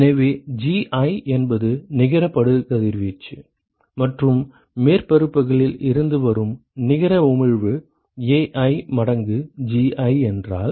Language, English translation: Tamil, So, Gi is the net incident irradiation, and if the net emission that comes from the surfaces is Ai times Ji